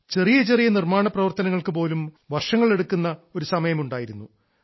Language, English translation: Malayalam, There was a time when it would take years to complete even a minor construction